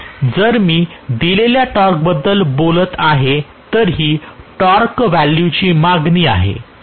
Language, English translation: Marathi, So if I am talking about a given torque, this is the torque value demand, demanded, Right